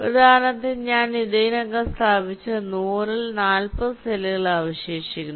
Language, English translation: Malayalam, like, for example, out of the hundred i have already placed forty cells, sixty are remaining